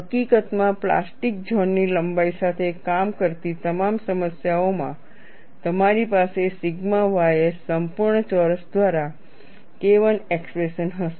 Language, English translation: Gujarati, In fact, in all problems dealing with plastic zone length you will have an expression K 1 by sigma ys whole square